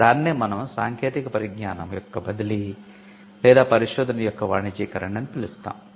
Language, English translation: Telugu, So, we call it transfer of technology or commercialization of research